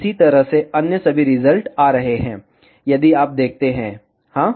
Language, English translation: Hindi, In the similar way all other results are coming, if you see yes